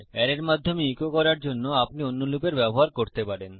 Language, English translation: Bengali, You can use other loops to echo through an array